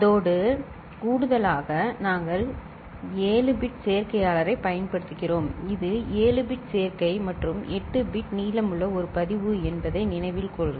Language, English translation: Tamil, And in addition to that we are using a 7 bit adder, note that it is a 7 bit adder and a register which is 8 bit long